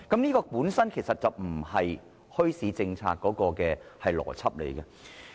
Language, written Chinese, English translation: Cantonese, 這根本並不符合墟市政策的邏輯。, This is inconsistent with the logic of the bazaar policy